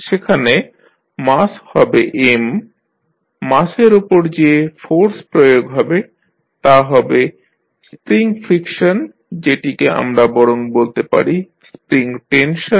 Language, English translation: Bengali, There will be mass M, the force is applied on this mass will be one that is the spring friction, spring tension rather we should say